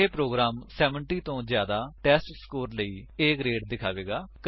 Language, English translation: Punjabi, The program will display A grade for the testScore greater than 70